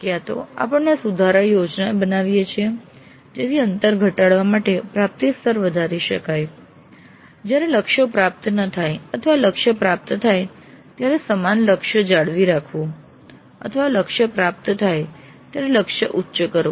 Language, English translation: Gujarati, So, either we plan improvements in order to raise the attainment levels to reduce the gap when the targets have not been attained or retain the same target when the target has been attained or increase the target when the target has been attained